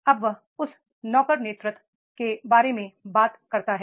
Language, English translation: Hindi, And now he talks about that is the servant leadership